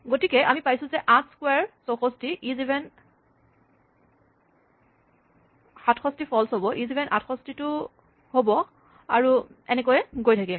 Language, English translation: Assamese, So, we have square 8, 64; iseven 67 should be false; iseven 68 should be true and so on